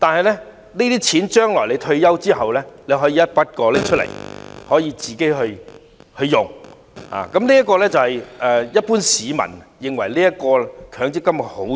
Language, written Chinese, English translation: Cantonese, 然而，在退休後，市民可以一筆過提取所有強積金權益使用，這是一般市民認為強積金的好處。, However upon retirement scheme members can withdraw their accrued benefits in a lump sum . This is the general publics view of the merit of MPF